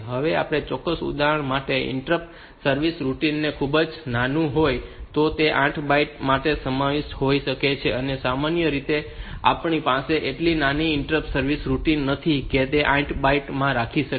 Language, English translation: Gujarati, Now, if the interrupt service routine is very small for a particular device, then it may be contained in that 8 bytes and if it is not which is normally the case normally we do not have so small interrupts service routine that it can be held in 8 bytes